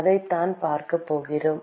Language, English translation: Tamil, That is what we are going to see